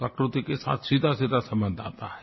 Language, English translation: Hindi, There is a direct connect with nature